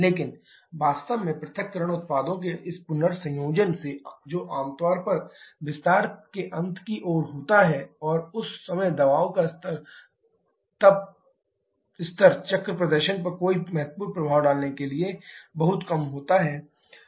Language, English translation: Hindi, But truly speaking this recombination of dissociation products that generally happens towards the end of the expansion process and that time the pressure level is too low to have any significant effect on the cycle performance